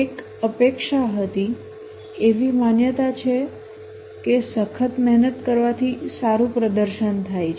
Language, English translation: Gujarati, The belief that working harder leads to better performance